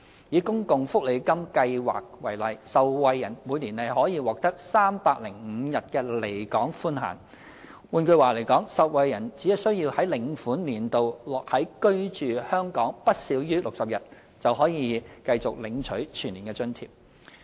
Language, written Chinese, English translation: Cantonese, 以公共福利金計劃為例，受惠人每年可獲305天的離港寬限，換句話說，受惠人只需在領款年度內居港不少於60天，便可領取全年津貼。, Take Social Security Allowance Scheme as an example the permissible absence limit for the recipients under this scheme is 305 days per year . In other words recipients may receive full - year allowance as long as they have resided in Hong Kong for not less than 60 days per year